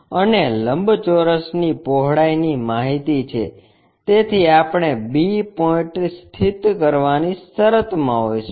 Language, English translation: Gujarati, And rectangle breadth is known, so we will be in a position to locate b point